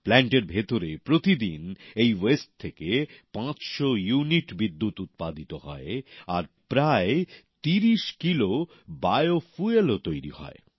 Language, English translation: Bengali, In this plant 500units of electricity is generated every day, and about 30 Kilos of bio fuel too is generated